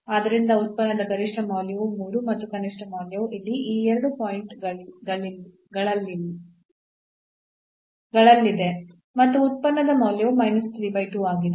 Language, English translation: Kannada, So, the maximum value of the function is 3 and the minimum value is at these 2 points here or the value of the function is minus 3 by 2